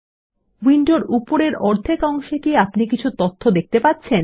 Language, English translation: Bengali, Can you see some data in the upper half of the window